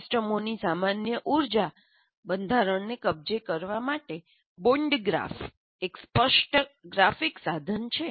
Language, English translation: Gujarati, For example, Barn graph is an explicit graphic tool for capturing the common energy structure of the systems